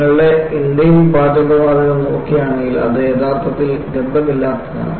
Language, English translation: Malayalam, See, if you look at your Indane cooking gas, it is actually odorless